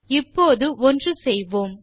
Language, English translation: Tamil, Now lets try out an exercise